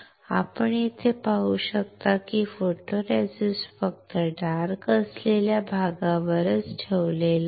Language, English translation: Marathi, You can see here that the photoresist is retained only on the area which was dark